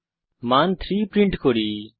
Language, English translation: Bengali, We print the value as 3